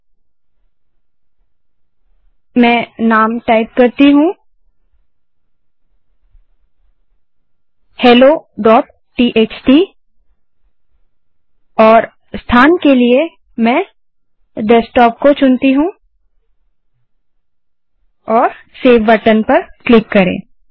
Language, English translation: Hindi, So let me type the name as hello.txt and for location I select it as Desktop and click on save button